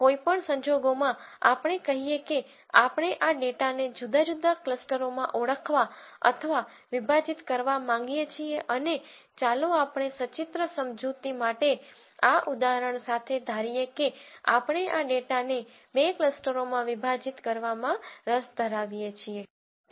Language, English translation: Gujarati, In any case let us say we want to identify or partition this data into different clusters and let us assume for the sake of illustration with this example that we are interested in partitioning this data into two clusters